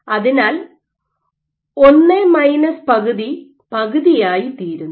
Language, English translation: Malayalam, So, 1 minus half becomes half